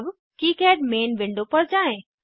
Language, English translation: Hindi, Now go to KiCad main window